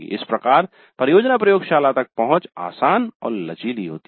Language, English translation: Hindi, So, access to the project laboratory was easy and flexible